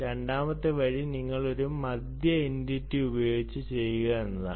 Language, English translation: Malayalam, the second way is you do it with one middle entity and you have entities which are connected to it